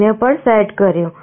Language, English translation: Gujarati, Let me change it to 0